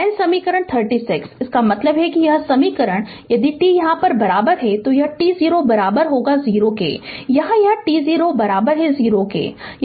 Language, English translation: Hindi, Then equation 36; that means, this equation, if t is equals your here it is if t 0 is equal to 0, here it is t 0 is equal to 0